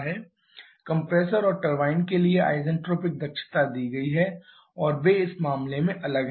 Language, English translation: Hindi, Isentropic efficiencies for compressor and turbine are given and they are separate in this case